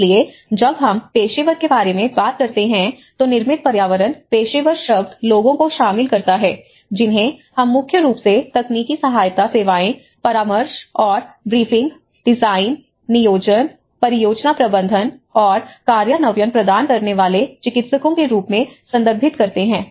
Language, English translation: Hindi, So, when we talk about the professional, who is a professional, the term built environment professional includes those we refer to as practitioners primarily concerned with providing technical support services, consultation and briefing, design, planning, project management, and implementation